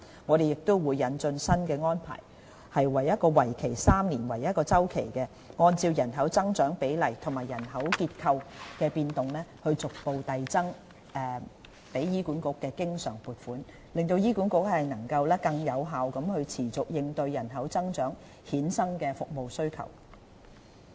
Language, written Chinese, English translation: Cantonese, 我們亦會引進新安排，以每3年為1個周期，按照人口增長比例和人口結構的變動，逐步遞增對醫管局的經常撥款，讓醫管局能更有效地持續應對人口增長衍生的服務需求。, A new arrangement will also be introduced under which the recurrent provision for HA will be increased progressively on a triennium basis having regard to population growth and demographic changes . That will enable HA to respond on a sustained basis more effectively to service demand arising from population growth